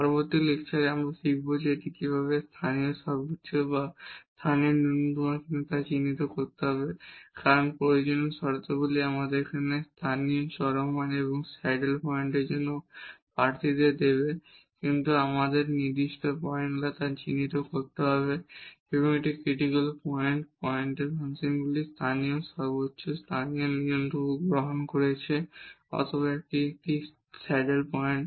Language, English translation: Bengali, In the next lecture we will learn now, how to identify whether it is a local maximum or local minimum because necessary conditions will give us the candidates for the local extrema and also for the saddle points, but then we have to identify whether a given point a given critical point the function is taking local maximum local minimum or it is a saddle point